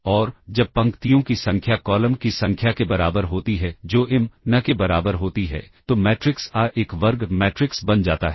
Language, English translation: Hindi, And, when the number of rows is equal to number of columns that is m equal to n, then the matrix A becomes a square matrix ok